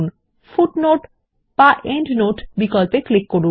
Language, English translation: Bengali, Then click on the Footnote/Endnote option